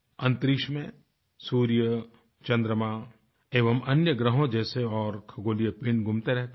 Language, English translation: Hindi, Sun, moon and other planets and celestial bodies are orbiting in space